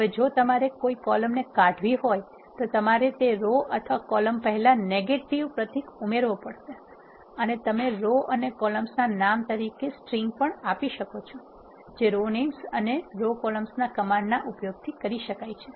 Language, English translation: Gujarati, If you want to remove some columns you need to add a negative symbol before the rows or columns, and you can also assign strings as names of rows and columns by using the commands row names and row columns